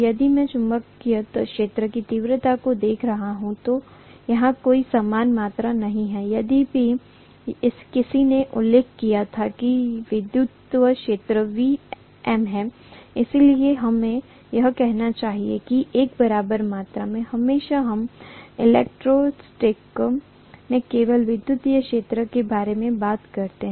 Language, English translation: Hindi, If I am looking at magnetic fiel d intensity whereas here, there is no corresponding quantity, although one of your classmates mentioned that electric field is volts per metre, so we should be able to say that as an equivalent quantity, invariably, we talk about electric field only in electrostatics